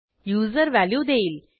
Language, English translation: Marathi, User will enter the value